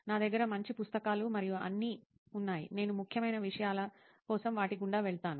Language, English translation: Telugu, I have good books and all; I just go through them like important points